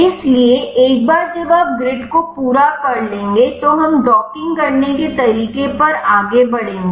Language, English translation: Hindi, So, once you finish the grid we will move on how to do docking